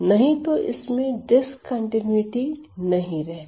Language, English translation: Hindi, So, this is my point of discontinuity